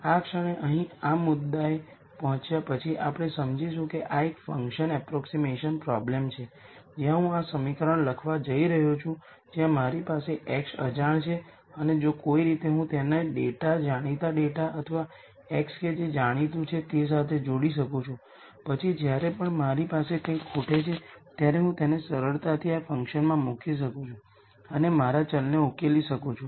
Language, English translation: Gujarati, The minute we get to this point right here then we understand that this is a function approximation problem where I am going to write this equation where I have x unknown and if somehow I can relate it to the data, known data or x that is known, then whenever I have something missing I could simply put it into this function and as solve for my variable